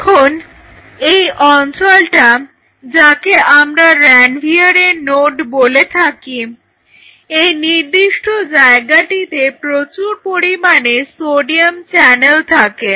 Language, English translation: Bengali, So, now this zone which we call as nodes of Ranvier this particular spot is very rich in sodium channels right